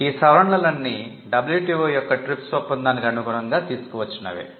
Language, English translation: Telugu, These were all amendments that brought the act in compliance with the TRIPS agreement of the WTO